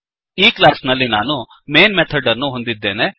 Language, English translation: Kannada, In this class, I have the main method